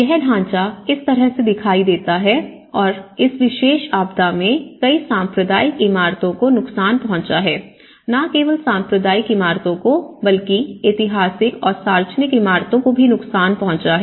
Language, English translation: Hindi, That is how the pattern looks like and in this particular disaster many of the communal buildings also have been damaged, not only the communal buildings, the historic buildings have been damaged, public buildings have been damaged